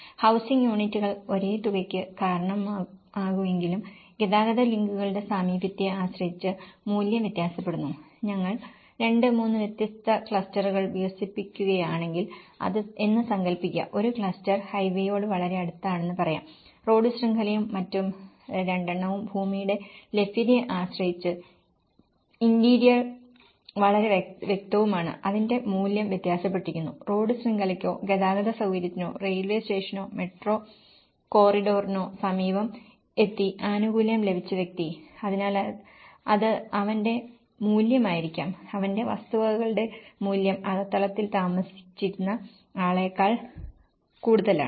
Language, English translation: Malayalam, Though the housing units cause the same amount but the value differs depending on the proximity of transport links imagine, if we are developing 2, 3 different clusters let’s say one cluster is very close to the highway, the road network and the other two are much interior depending on the land availability so obviously, it value differs so, the person who got a benefit of getting near the road network or the transport facility or a railway station or a metro corridor, so it will be his value; his property value is more higher than the one who was staying in the interiors